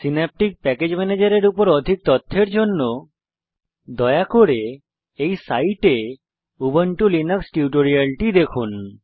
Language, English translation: Bengali, for more information on Synaptic Package Manager please refer to Ubuntu Linux tutorials on our websitehttp://spoken tutorial.org Lets open a new KTurtle Application